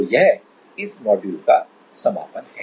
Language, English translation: Hindi, So, this is the end of this module